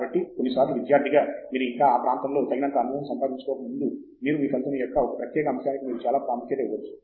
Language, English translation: Telugu, So, sometimes as a student because you do not yet have enough experience in the area, you may tend to give lot of importance to a particular aspect of your result